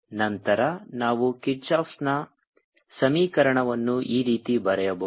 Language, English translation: Kannada, now we can write kirchhoff's equation